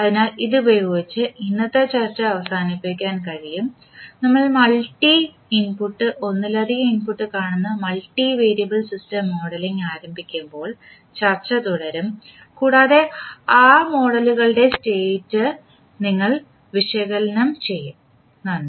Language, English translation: Malayalam, So with this we can close our today’s discussion, we will continue our discussion while we start modelling the multi variable system where you will see multiple input and multiple output and how you will analyze those set of model, thank you